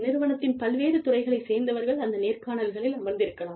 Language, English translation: Tamil, You could have people from, different departments, sitting in on interviews